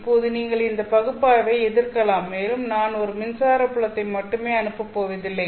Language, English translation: Tamil, Now, you might object to this analysis and say, well, I am not going to send only one electric field omega n